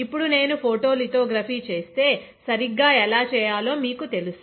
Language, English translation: Telugu, Now if I go for photolithography, which is you know how to do right